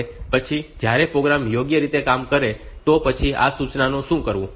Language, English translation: Gujarati, Now later on when the program is working properly, then what to do with these instructions